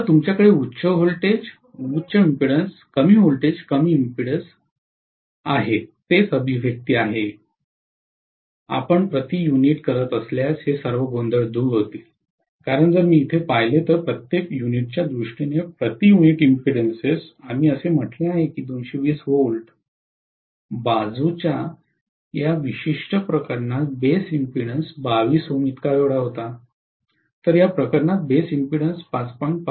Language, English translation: Marathi, So you are going to have high voltage, high impedance, low voltage, lower impedance, that is the manifestation, all this confusions will be eliminated if you are doing per unit, because if I look at it here, in terms of per unit per unit impedance we said base impedance in this particular case on 220 V side was 22 ohms, whereas base impedance in this case was 5